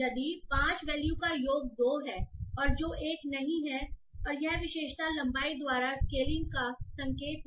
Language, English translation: Hindi, So if the sum of the 5 value is 2 which is not 1 and this is indicative of the scaling by feature length